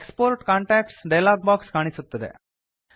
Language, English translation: Kannada, The Export contacts dialog box appears